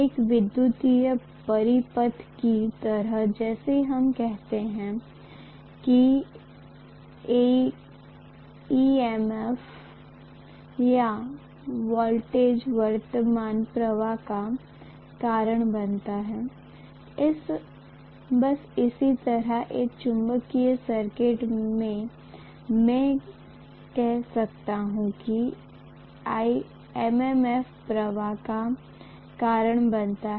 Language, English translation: Hindi, Just like in an electrical circuit, how we say that EMF or voltage causes current flow” I can say the same way in a magnetic circuit, I am going to have MMF causing the flux